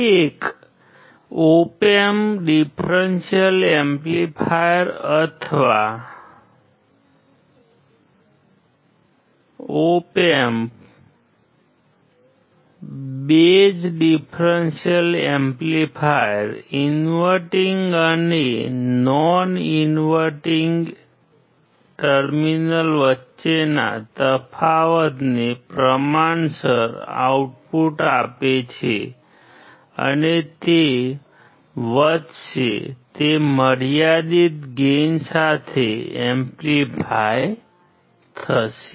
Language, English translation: Gujarati, An op amp differential amplifier or op amp base differential amplifier gives an output proportional to the difference between the inverting and non inverting terminal and it will gain, it will amplify with a finite gain